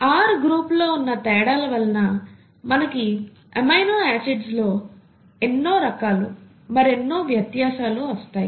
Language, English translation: Telugu, So differences in the R groups are what is, what gives rise to the differences in the various types of amino acids, right